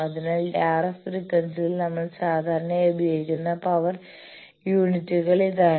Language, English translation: Malayalam, So, this is the power units that in RF frequency we generally use